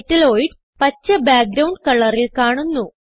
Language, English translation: Malayalam, Metalloids appear in Green family background color